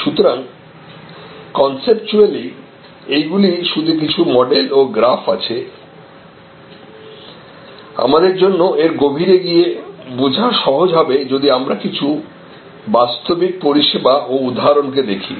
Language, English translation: Bengali, So, let us I think at a conceptual level, these are just some models and graphs, it will be easier for us to understand it in depth, if we look at some actual service and the examples